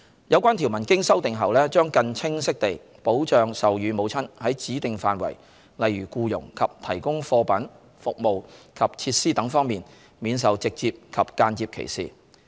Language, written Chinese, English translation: Cantonese, 有關條文經修訂後，將更清晰地保障授乳母親在指定範疇，例如僱傭及提供貨品、服務及設施等方面，免受直接及間接歧視。, After the relevant amendments to the provisions are made clear safeguard could be provided for breastfeeding mothers against direct and indirect discrimination on the ground of her breastfeeding in specified fields such as employment the provision of goods facilities and services